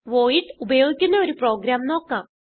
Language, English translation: Malayalam, Let us see a program using void